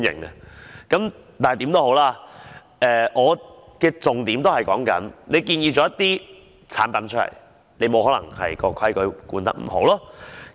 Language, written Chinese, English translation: Cantonese, 無論如何，我的重點是當局建議了一些產品，卻沒有規管得很好。, Anyway my key point is that the authorities have recommended certain products to the market but they fail to regulate them properly